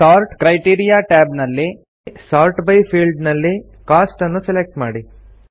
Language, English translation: Kannada, In the Sort criteria tab, select Cost in the Sort by field